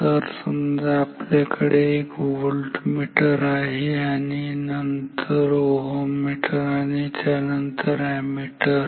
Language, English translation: Marathi, So, we have a say voltmeter and then ohm and then ammeter